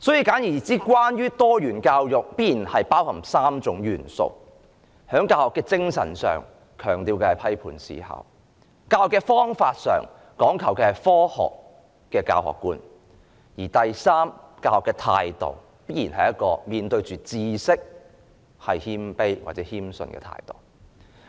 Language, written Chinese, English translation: Cantonese, 簡而言之，多元教育必然包含3種元素：在教學的精神上，強調的是批判思考；在教學的方法上，講求的是科學的教學觀；而第三，在教學的態度方面，面對知識時必然要保持謙卑或謙遜的態度。, On the spirit of teaching it stresses critical thinking . On the method of teaching it stresses the scientific outlook on teaching . And third on the attitude of teaching it stresses the need to maintain a humble or modest attitude in front of knowledge